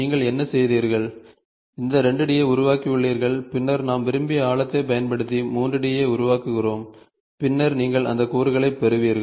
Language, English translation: Tamil, So, what you have done is you have constructed this 2 D and then you say desired depth which we make 3 D and then you get the component